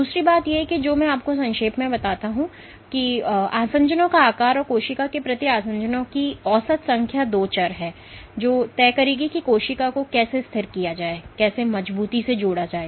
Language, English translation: Hindi, The other thing I want to you know state briefly is that the size of the adhesions and the average number of adhesions per cell is are two variables which would dictate, how stable the cells or how firmly attached the cells